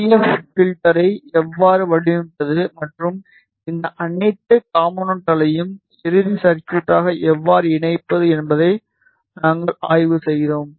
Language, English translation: Tamil, We studied how to design the IF filter and how to combine all these components into the final circuit